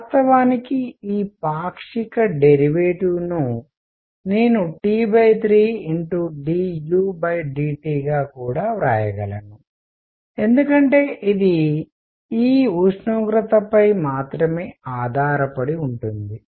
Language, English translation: Telugu, In fact, this partial derivative I can even write as T by 3 d u by d T because it depends only on the temperature this 4 u by 3